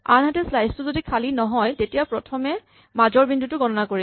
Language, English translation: Assamese, On the other hand if the slice is not empty, then what we do is we first compute the midpoint